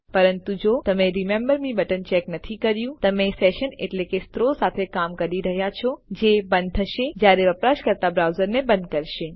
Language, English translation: Gujarati, But if you didnt check a button like remember me, you will probably be dealing with sessions which close as soon as the user closes the browser